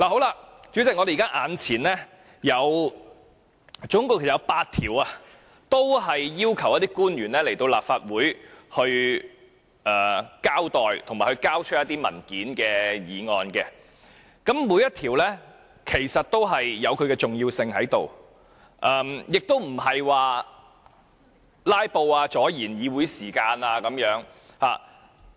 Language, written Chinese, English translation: Cantonese, 代理主席，目前我們總共有8項要求傳召官員到立法會席前交代及交出一些文件的議案，其實每一項議案也有其重要性，亦不是想"拉布"或阻礙議會時間。, Deputy President there are in total eight motions seeking to summon officials to attend before the Council to testify and produce some documents . In fact each motion has its importance and we do not aim to filibuster or delay the Councils proceedings